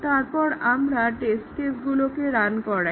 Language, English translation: Bengali, We need to augment the test cases